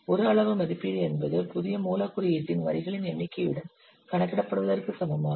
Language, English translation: Tamil, A size estimate is equivalent to the number of lines of new source code is computed